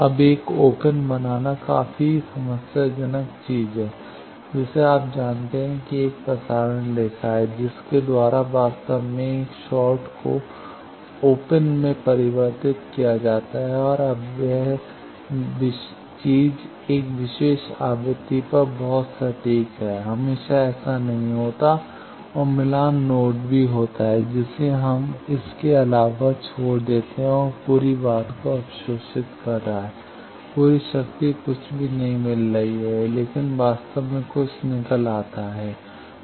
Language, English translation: Hindi, Now making a open is quite a problematic thing you know there is a transmission line by which actually convert a short to an open and now that thing is very precise at a particular frequency, always it is not same and match load also that we except it is a absorbing the whole thing, whole power nothing is coming out, but in reality something comes out